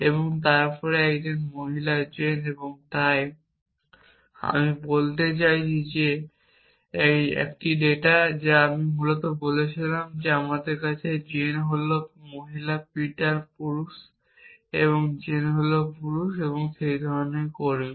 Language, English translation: Bengali, And then a female Jane and so on and so both I mean that is a data that I originally said we have the Jane is female Peter is male and Jane is male and that kind of staff